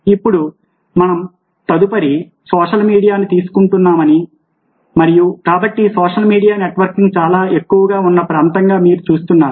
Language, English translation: Telugu, now you see that we are taking of social media next, and because social media is an area where networking is very, very prevalent